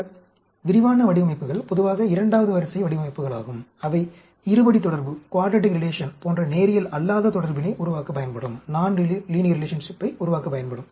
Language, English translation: Tamil, These detailed designs are generally second order designs which can be used to generate non linear relation like a quadratic relation